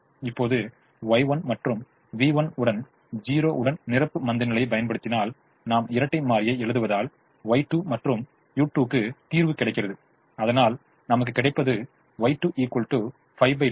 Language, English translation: Tamil, now, if we apply the complimentary slackness with y one and v one to zero and we write the dual and we solve for y two and u two, we will get: y two is equal to five by two, v two is equal to minus three by two